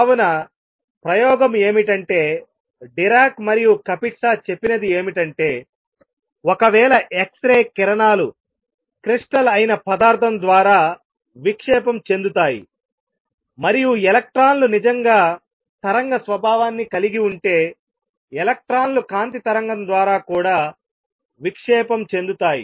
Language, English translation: Telugu, So, the experiment is what Dirac and Kapitsa said is that if x rays can be diffracted by material that is a crystal, and if electrons really have wave nature then electrons can also be diffracted by standing wave of light